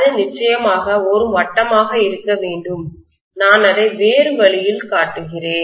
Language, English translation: Tamil, It should be a circle; of course I am showing it in different way